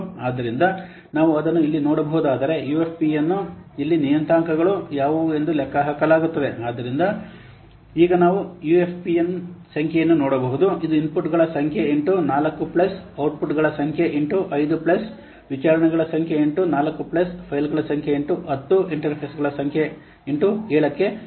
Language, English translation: Kannada, So this this, this addressed and proposed a formula and according to this formula let's see where this formula must be there this formula this formula is somehow okay the formula says like that UFP is equal to the number of inputs into 4 plus number of outputs into 5 plus number of inquiries into 4 plus number of files I mean internal files into 10 plus number of interfaces into 7